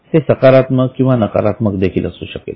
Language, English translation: Marathi, It can be positive, it can also be negative